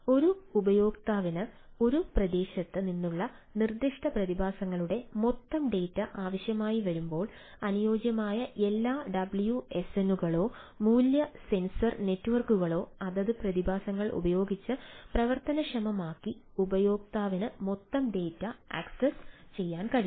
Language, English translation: Malayalam, when a user requires a aggregate data of specific phenomena from a region, all underlining wsns or value sensory networks which switch on with the respective phenomena enabled and the user can access the aggregated data